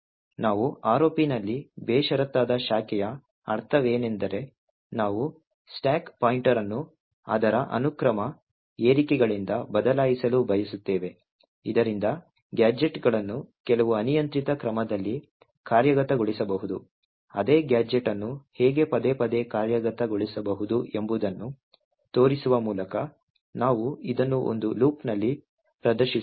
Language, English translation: Kannada, So what do we mean by unconditional branching in ROP is that we want to change stack pointer from its sequential increments so that gadgets can be executed in some arbitrary order, we will demonstrate this by showing how the same gadget can be executed over and over again in a loop